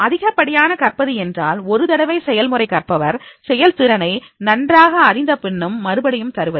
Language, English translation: Tamil, Over learning means repeated practices even after a learner has mastered the performance